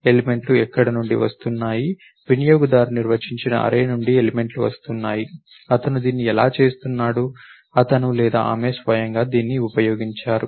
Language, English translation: Telugu, Where are the elements are coming from, from a user defined array, he is doing it, he or she used doing it himself